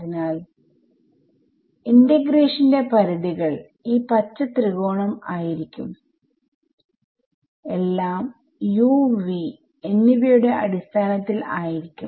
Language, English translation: Malayalam, So, the limits of integration will be this green triangle fine and everything is in terms of u and v fine